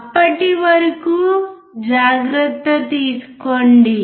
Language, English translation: Telugu, Till then take care